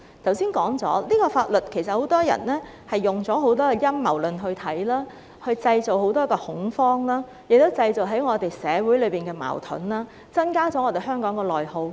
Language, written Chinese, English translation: Cantonese, 我剛才說過，很多人用陰謀論來看待這項法律，製造很大恐慌，亦造成社會矛盾，加劇香港的內耗。, As I have mentioned earlier many people view this law from the perspective of conspiracy theories thereby creating great panic and causing social conflicts which have intensified the social dissension in Hong Kong